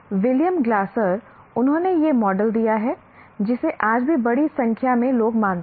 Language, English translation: Hindi, William Glasser, he has given this model, which is followed by a large number of people even today